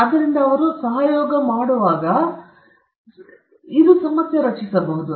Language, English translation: Kannada, So, when they collaborate, this might create a problem